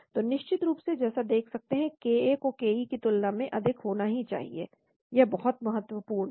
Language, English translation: Hindi, So of course as it sees ka has to be higher than ke that is very very important